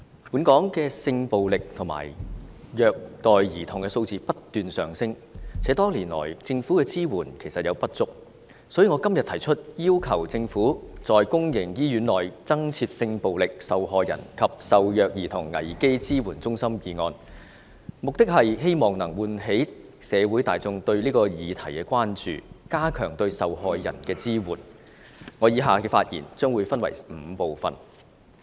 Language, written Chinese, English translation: Cantonese, 本港性暴力及虐待兒童的數字不斷上升，且多年來，政府的支援有不足之處，所以，我今天提出"要求政府在公營醫院內增設性暴力受害人及受虐兒童危機支援中心"議案，目的是喚起社會大眾對此議題的關注，加強對受害人的支援，我以下的發言將會分為5部分。, In view of the rising trend in the number of cases of sexual violence and child abuse in Hong Kong in recent years and apart from the insufficient support given by the Government over the years I propose todays motion on Requesting the Government to set up crisis support centres for sexual violence victims and abused children in public hospitals . My purpose is to arouse the concern of the public in society and to strengthen the support to these victims . The following speech is divided into five parts